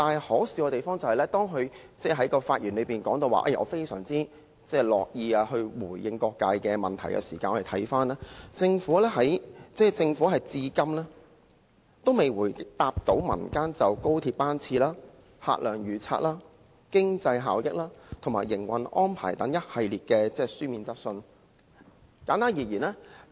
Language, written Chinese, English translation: Cantonese, 可笑之處是，他在發言中提到自己相當樂意回答各界的問題，但我們看到政府至今其實也未曾答覆過民間就着高鐵班次、客量預測、經濟效益及營運安排等一系列書面質詢。, It is funny that in his speech he mentions his willingness to answer questions from various sectors while in reality the Government has never replied to the series of written questions concerning the frequency of XRL trains projection of patronage economic efficiency operational arrangements and so on